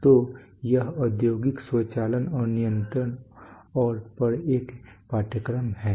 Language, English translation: Hindi, So, this is a course on industrial automation and control and